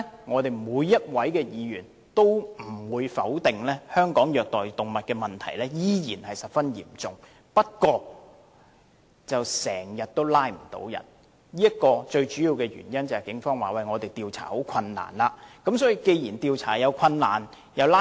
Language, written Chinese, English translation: Cantonese, 我相信沒有議員會否認，在香港虐待動物的問題仍然十分嚴重，但執法機關往往未能捉拿犯人歸案，而根據警方表示，最主要原因是調查方面有困難。, I think no Member will dispute that animal cruelty is still a serious problem in Hong Kong but the perpetrators can always walk free . According to the Police the major problem lies with the difficulties in investigation